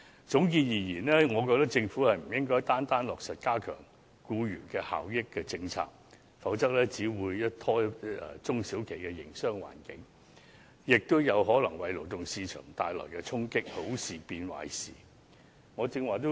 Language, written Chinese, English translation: Cantonese, 總結而言，我覺得政府不應單方面落實加強僱員權益的政策，否則只會拖累中小企的營商環境，亦有可能為勞動市場帶來衝擊，令好事變壞事。, To conclude I think the Government should not unilaterally implement policies that will enhance the rights and interests of employees . Otherwise the business environment of SMEs will only be adversely affected and this may also deal a blow to the labour market thus turning a good thing into a bad one